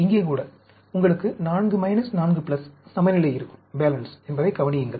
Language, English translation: Tamil, Notice that even here, you will have the balancing, 4 minuses, 4 plus